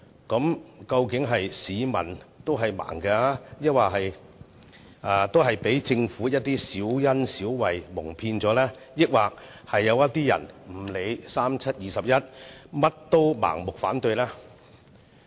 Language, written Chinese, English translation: Cantonese, 那究竟市民是盲的，被政府的小恩小惠蒙騙，還是某些人無論如何也要盲目反對呢？, Is it because Hong Kong people are blinded by the petty favours offered by the Government or does it serve to prove that some people will just blindly oppose anyway?